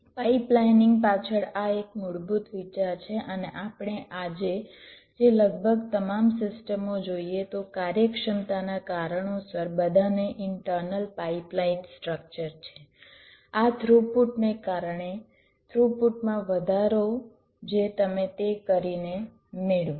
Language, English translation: Gujarati, this is a basic idea behind pipelining and almost all systems that we see today as an internal pipeline structure, because of an efficiency considerations, because of throughput increase, increase in throughput that you get by doing that